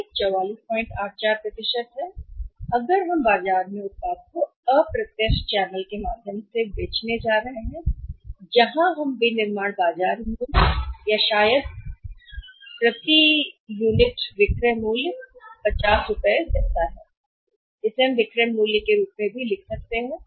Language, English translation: Hindi, 84 % if we are going to sell the product in the market through the indirect channel where we are going to manufacture say the marketing market price or maybe the selling price per unit may be something like 50 you can write it as the selling price also